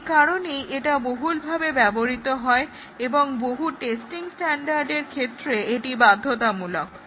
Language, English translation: Bengali, And therefore, it is widely used and is mandated by many testing standards